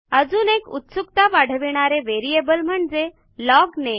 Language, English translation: Marathi, Another interesting variable is the LOGNAME